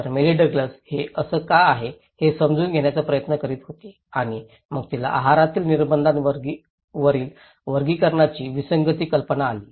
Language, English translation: Marathi, So, Mary Douglas was trying to understand why this is so and then she came up with the idea, taxonomic anomalies on dietary restrictions